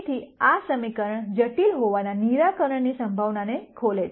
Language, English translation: Gujarati, So, this opens out the possibility of a solution to this equation being complex also